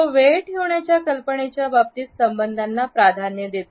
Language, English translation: Marathi, It prefers relationships in terms of the idea of keeping time